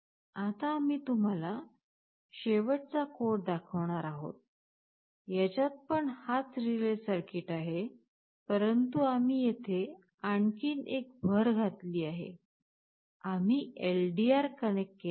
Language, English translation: Marathi, Now, for the last code that we shall be showing you, this is the same relay circuit, but we have made one more addition here, we have connected a LDR